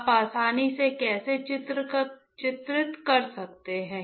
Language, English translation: Hindi, You can easily delineate right how